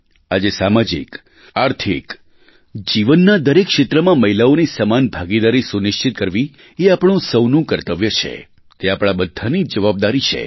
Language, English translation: Gujarati, Today, it is our duty to ensure the participation of women in every field of life, be it social or economic life, it is our fundamental duty